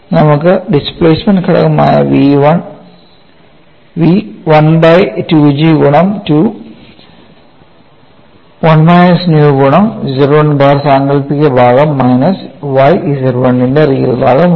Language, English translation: Malayalam, So, I have v equal to 1 by 2 G of 2 by 1 plus nu multiplied by imaginary part of Z 1 bar minus y real part of Z 1